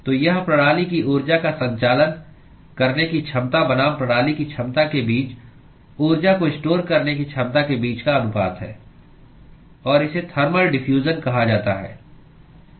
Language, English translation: Hindi, So, this is the ratio between the ability of the system to conduct heat versus the ability of the system to store heat within itself and that is what is called thermal diffusion